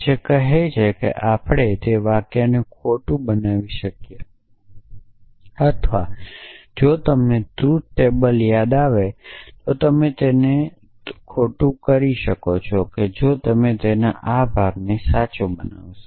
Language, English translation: Gujarati, This would say let say that can we make that sentence false or if you remember the truth table for implication you can make it false only if you make it this part true